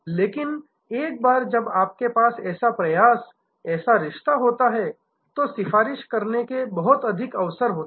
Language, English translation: Hindi, But, once you have such an effort, such a relationship then the opportunity for creating advocacy is much higher